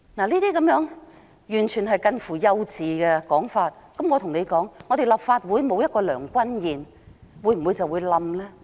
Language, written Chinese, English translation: Cantonese, 聽到這種完全近乎幼稚的說法，我便想指出，立法會少了梁君彥會否倒塌？, After hearing such a remark which can almost be described as naïve I would like to ask Will the Legislative Council collapse without Andrew LEUNG?